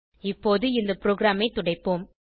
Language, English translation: Tamil, Lets now clear this program